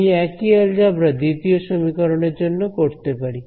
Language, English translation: Bengali, Very good I can repeat the same algebra for the second equation also right